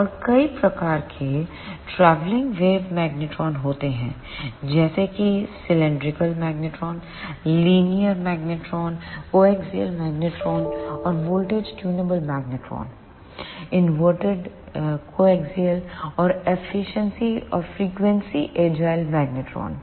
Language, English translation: Hindi, And there are many types of travelling wave magnetrons such as cylindrical magnetron, linear magnetron, coaxial magnetron and voltage tunable magnetron, inverted coaxial magnetron and frequency agile magnetron